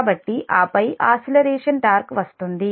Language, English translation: Telugu, so and an acceleration torque comes to play